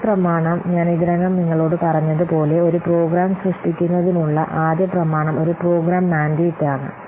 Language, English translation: Malayalam, So as I have already told you, the first document, the first document for creating a program is a program mandate